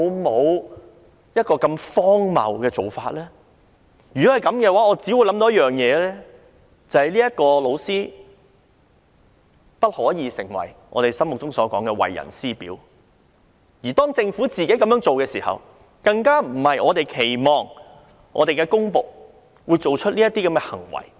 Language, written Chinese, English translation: Cantonese, 這只會令我想到一件事，就是這名老師不可以成為我們心目中的為人師表，如果政府這樣做，更不是我們期望公僕會做出的行為。, This only makes me think of one thing that is this teacher has not set an example of how good teachers should be like for us to emulate . If the Government does this sort of thing it is not the kind of behaviour we expect of public servants